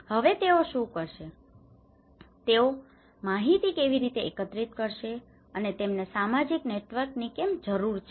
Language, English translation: Gujarati, Now, what do they do, how they would collect these informations, and why do they need social networks